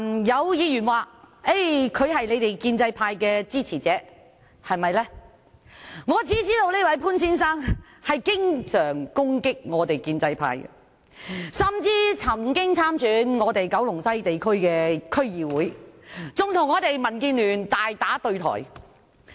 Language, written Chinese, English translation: Cantonese, 有議員說他是建制派的支持者，但我只知道他經常攻擊建制派，甚至曾在九龍西某地區參加區議會選舉，與民主建港協進聯盟大打對台。, A Member said that Mr POON was a supporter of the pro - establishment camp but to my knowledge he often attacks the pro - establishment camp . Mr POON even stood for the District Council election in a constituency in Kowloon West and competed against the candidate of the Democratic Alliance for the Betterment and Progress of Hong Kong